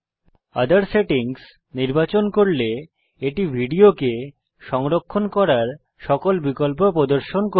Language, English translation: Bengali, Choosing Other settings will display all the saving options available in which the resultant video can be saved